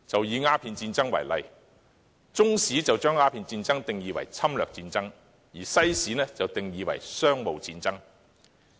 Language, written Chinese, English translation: Cantonese, 以鴉片戰爭為例，中史把鴉片戰爭定義為侵略戰爭，而西史則將之定義為商務戰爭。, Take the Opium War as an example . From the perspective of Chinese history it was a war of aggression while from the perspective of world history it was a commercial war